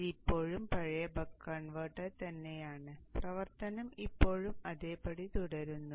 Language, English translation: Malayalam, So this is still the buck converter, the same old buck converter and the operation still continues to remain same